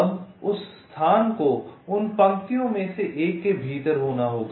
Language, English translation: Hindi, now that location itself, we have to be ah, ah, within one of those rows